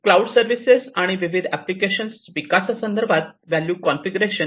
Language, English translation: Marathi, So, value configuration with respect to the development of cloud services, and the different applications